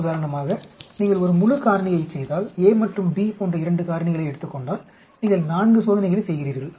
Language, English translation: Tamil, If you do a full factorial for example, if you take 2 factors like a and b you are doing 4 experiments